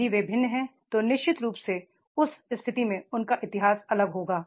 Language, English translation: Hindi, If they are different, then definitely in that case their history will be different